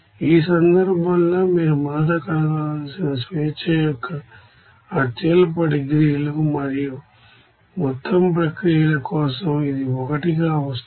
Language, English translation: Telugu, So, in this case the lowest degrees of freedom first you have to find out and it is coming is for overall processes it is coming as 1